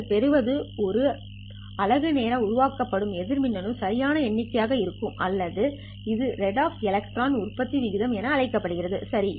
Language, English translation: Tamil, What you get will be the average number of electrons that are generated per unit time or this is called as rate of electron generation